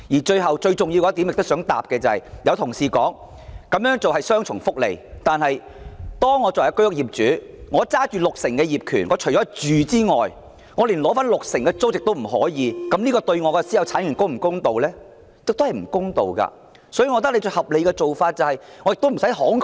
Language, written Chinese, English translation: Cantonese, 最後，最重要及我想回應的是，有同事表示這種做法是雙重福利，但假如我是居屋業主，手持六成業權，除了自住外，連取得六成的租金收入亦不可，從私有產權的角度而言，這樣對我是否公道？, Lastly and most importantly I would like to respond to the saying by some Honourable colleagues that this proposal would give rise to double benefit . If I were the owner of an HOS flat holding 60 % of the title I could only use the flat for self - occupation and was not allowed to earn 60 % of the rental income . Considering from the perspective of private property rights is this fair to me?